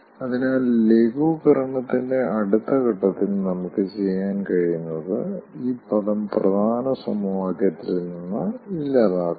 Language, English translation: Malayalam, so in the next phase of simplification or idealization, what we can do, we can delete this term from this equation